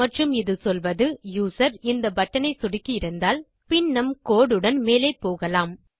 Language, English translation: Tamil, And this will say if the user has clicked this button, then we can carry on with our code